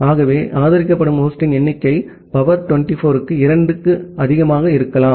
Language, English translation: Tamil, So, the supported number of host can be as high as 2 to the power 24